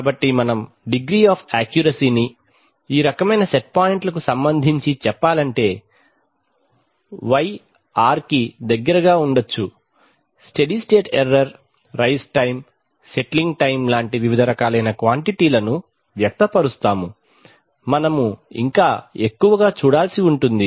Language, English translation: Telugu, So we, with respect to this kind of set points to express the degree of accuracy with which, y can be close to r, we express various quantities like the steady state error, rise time, settling time, etc, we will have a more detailed look at these